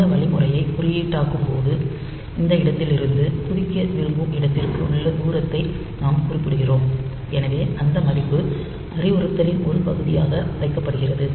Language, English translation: Tamil, In the sense that we have seen that while coding this instruction, so we note down the distance from this point to the point where you want to jump, so that value is kept as the part of the instruction